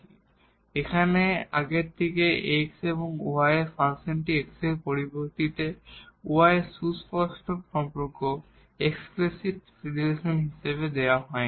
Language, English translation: Bengali, Now from the earlier one here, the function of this x y is given not the as a explicit relation of y in terms of x is given, but it is an implicit relation here given in terms of x and y